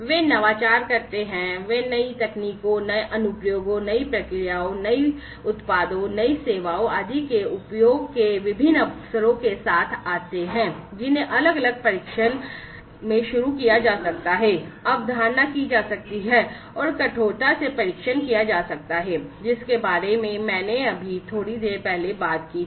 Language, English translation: Hindi, So, these working groups do different things they innovate, they come up with different opportunities of the use of new technologies, new applications, new processes, new products, new services, etcetera, which could be initiated, conceptualized, and could be rigorously tested, in the different testbeds that I just talked about a while back